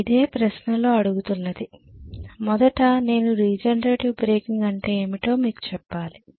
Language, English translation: Telugu, Okay, so this is what is being asked, first of all I will have to tell you what is the regenerator breaking